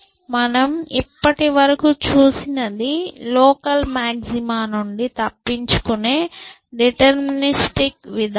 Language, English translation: Telugu, So, what we have seen so far is the deterministic approach to escaping from local maxima